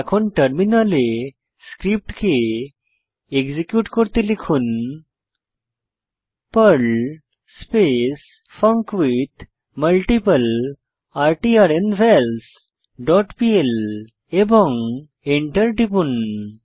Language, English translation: Bengali, Now let us execute the Perl script on the terminal by typing perl funcWithMultipleRtrnVals dot pl and press Enter